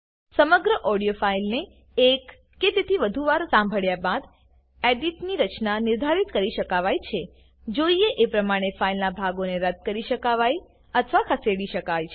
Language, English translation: Gujarati, After listening to the entire audio file once or more than once, the structure of the edit can be decided parts of the file can be deleted or moved, as required